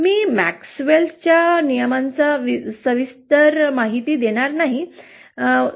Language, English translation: Marathi, I am not going to go into detail about MaxwellÕs laws